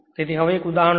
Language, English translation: Gujarati, So, now take the example one